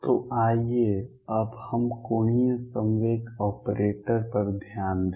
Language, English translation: Hindi, So, let us now focus on the angular momentum operator